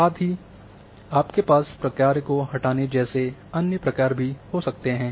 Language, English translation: Hindi, Also you can have other functions like erase function